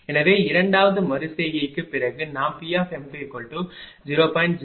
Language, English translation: Tamil, So, after second iteration we got P 2 is equal to 0